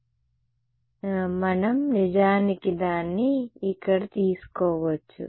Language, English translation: Telugu, So, we can actually just derive it over here